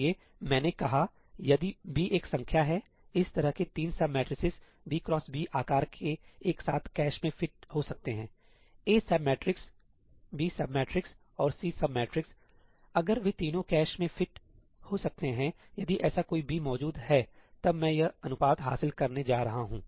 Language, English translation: Hindi, So, therefore, I said that if ëbí is a number, such that three sub matrices of size ëb cross bí can together fit into the cache A sub matrix, B sub matrix and C sub matrix if all three of them can in fit in the cache, if there exists such a ëbí, then I am going to achieve this ratio